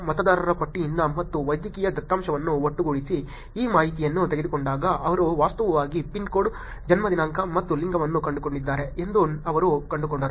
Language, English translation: Kannada, Taking this information which is from voters list and from the medical data putting it together she had found actually zip code, birth date and gender was actually common among both of them